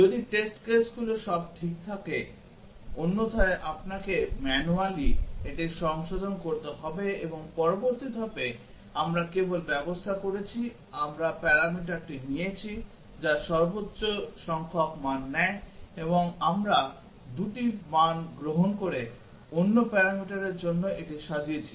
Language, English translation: Bengali, If the test cases are all right, otherwise you have to manually correct it and now in the next step we just arranged, we have taken the parameter which takes the maximum number of values and we have arranged it for the other parameter takes 2 values